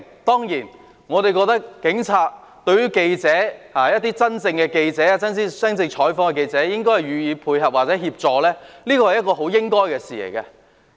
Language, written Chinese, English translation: Cantonese, 當然，我認為警察對記者——真正進行採訪的記者——應該予以配合或協助，這是應該做的事。, Certainly I consider that the Police should cooperate or assist the journalists―those genuinely engaged in news coverage . It is something which should be done